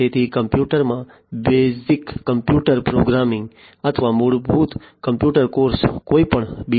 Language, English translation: Gujarati, So, you know so in the computer basic computer programming or fundamental computer courses in any B